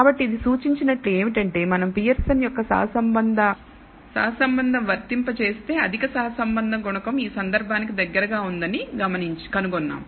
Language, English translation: Telugu, So, what it seems to indicate is that if we apply the Pearson’s correlation and we find the high correlation coefficient close to one in this case